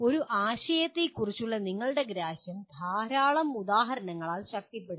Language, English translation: Malayalam, Your understanding of a concept can be reinforced by a large number of examples